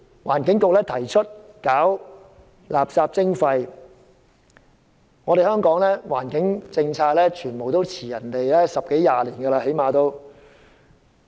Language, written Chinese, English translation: Cantonese, 環境局今年提出垃圾徵費，香港的環境政策，比別人慢了十多二十年。, The Environment Bureau will introduce waste charging this year . Hong Kongs environment policy lags behind other places by one or two decades